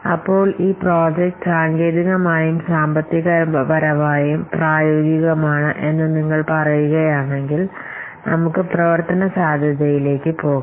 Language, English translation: Malayalam, So, if you see that the project is technical feasible as well as financial feasible then we should go for the operational feasibility